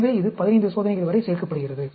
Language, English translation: Tamil, So, this adds up to 15 experiments